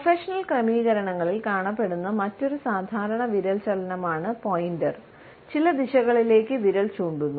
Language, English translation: Malayalam, Another common finger movement, which we come across in our professional settings, is the pointer, the finger pointing at certain directions